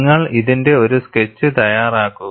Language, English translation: Malayalam, You make a sketch of this